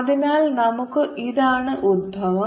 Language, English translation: Malayalam, so this is the origin